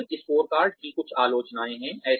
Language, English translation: Hindi, There are some criticisms of the balanced scorecard